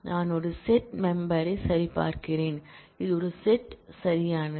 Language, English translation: Tamil, I am checking for a set membership; this is a set right